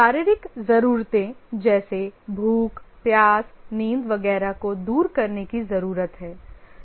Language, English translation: Hindi, The physiological needs are the need to overcome hunger, thirst, sleep, etc